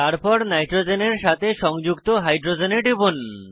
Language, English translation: Bengali, Then click on the hydrogens attached to the nitrogen